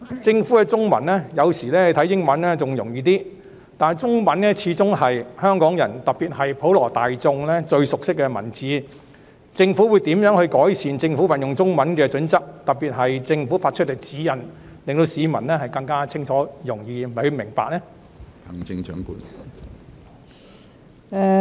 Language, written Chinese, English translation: Cantonese, 政府的中文——有時英文版反而更易懂，但中文始終是香港人，特別是普羅大眾最熟悉的文字，政府會如何改善運用中文的準則，特別是政府發出的指引，使其更清晰易懂？, The Governments Chinese texts―sometimes on the contrary the English texts are more comprehensible . However after all Chinese is the most familiar language to the people of Hong Kong especially the general public . How will the Government improve its Chinese language proficiency especially the guidelines issued by the Government so as to make them clearer and more comprehensible?